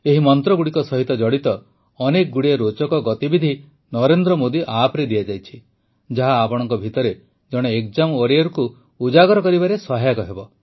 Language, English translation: Odia, A lot of interesting activities related to these mantras are given on the Narendra Modi App which will help to ignite the exam warrior in you